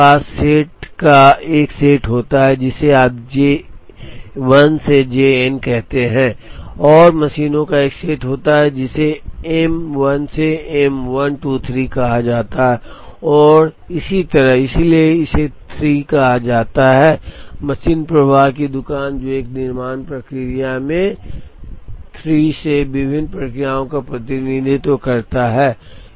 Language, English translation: Hindi, You have a set of jobs, which you call as J 1 to J n and there are a set of machines, which are called M 1 to M m 1 2 3 and so on, so this is called a 3 machine flow shop, which could represent 3 different processes in a manufacturing process